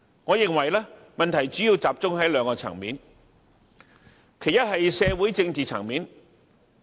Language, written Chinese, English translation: Cantonese, 我認為問題主要集中在兩個層面，其一是社會政治層面。, I think there are mainly two aspects to these problem one being the socio - political aspect